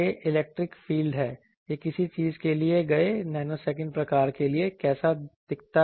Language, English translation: Hindi, And this is the electric field how it looks like for a given very nanosecond type of a thing